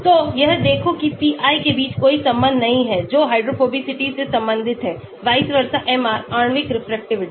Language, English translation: Hindi, So, look at it there is no correlation between pi which is related to the hydrophobicity, vis a vis MR, The molecular refractivity